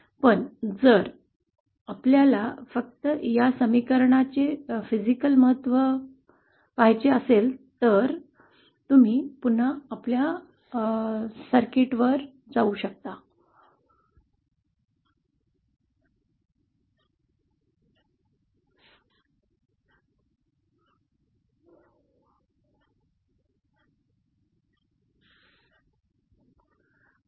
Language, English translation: Marathi, But if we just want to see the physical significance of this expression then you can go back to our circuit